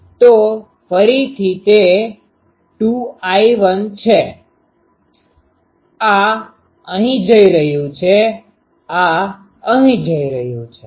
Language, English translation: Gujarati, So, it is again 2 I 1, this is going here, this is going here ok